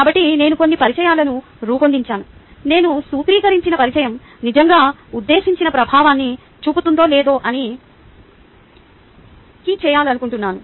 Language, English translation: Telugu, i really wanted to check whether the introduction that have formulated really is making a intended impact